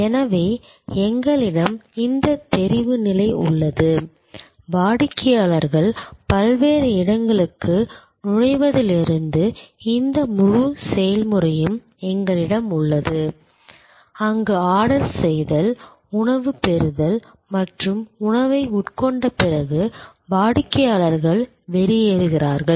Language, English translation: Tamil, So, we have this line of visibility, we have this whole process from customers entry to the various place, where there is ordering, receiving of the food and consumption of the food and then, the customers exit